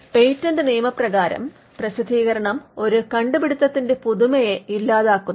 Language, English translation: Malayalam, In patent law the publication kills the novelty of an invention